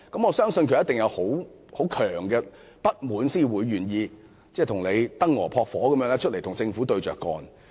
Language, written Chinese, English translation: Cantonese, 我相信，他一定有很強烈的不滿，才願意猶如燈蛾撲火，公開與政府對着幹。, I believe that he must be driven by his strong dissatisfaction to openly confront the Government like a moth to a flame